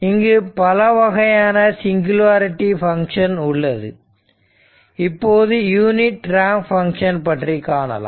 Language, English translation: Tamil, There are many other singularity function, but we will we will come up to ramp function some example